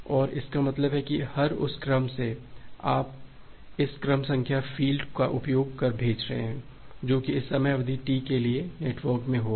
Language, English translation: Hindi, And that means, every by that you are sending using this sequence number field, that will be there in the network for this time duration T